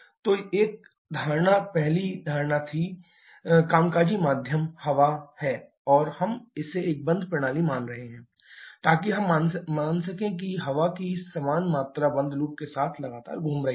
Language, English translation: Hindi, So, one assumption was the first assumption, the working medium is air and we are assuming it to be a closed system, so that we can assume the same quantity of air is continuously circulating with closed loop